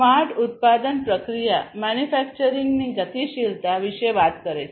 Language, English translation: Gujarati, Smart manufacturing process talks about the dynamism in the manufacturing